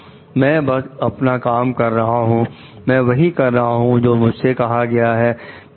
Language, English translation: Hindi, I was just doing my job , I was doing what I was told to do